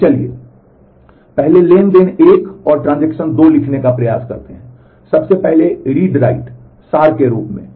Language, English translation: Hindi, So, let us first try to write out transaction 1 and transaction 2, the first in the read write Abstracted form